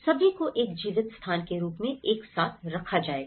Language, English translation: Hindi, All will put together in a form of a lived space